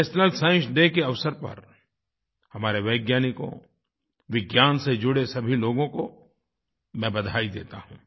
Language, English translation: Hindi, I congratulate our scientists, and all those connected with Science on the occasion of National Science Day